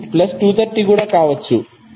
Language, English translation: Telugu, Here it will become plus 230